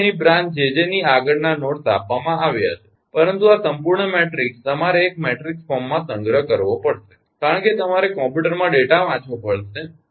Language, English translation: Gujarati, so here, nodes beyond one jj is given, but this whole matrix you have to stole in a matrix form because you have to read the data in the computer